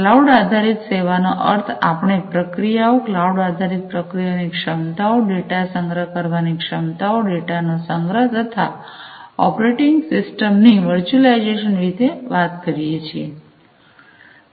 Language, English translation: Gujarati, So, cloud services means, we are talking about the processing, you know we are offering you know cloud based processing capabilities, storage capabilities of the data, the data storage, the virtualization of the operating system etcetera